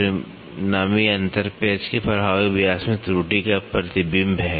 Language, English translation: Hindi, The resulting difference is a reflection of the error in the effective diameter of the screw